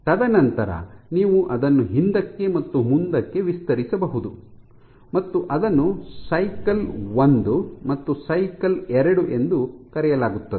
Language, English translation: Kannada, And then you can stretch it back and forth and that is what is referred to as this cycle 1 and cycle 2